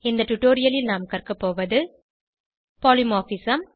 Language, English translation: Tamil, In this tutorial we will learn, Polymorphism